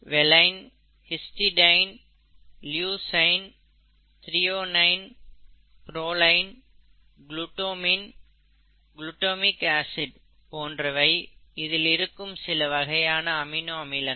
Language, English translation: Tamil, Some of these are given here, valine, histidine, leucine, threonine, proline, glutamine, glutamic acid glutamic acid, okay